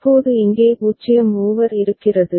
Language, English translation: Tamil, Now there is a 0 over here ok